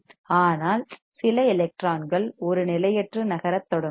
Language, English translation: Tamil, But there are few electrons that will start moving randomly